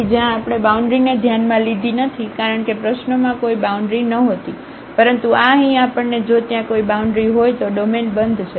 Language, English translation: Gujarati, So, where we have not considered the boundary because, there were no boundaries in the problem, but this here we have to if there is a boundary the domain is closed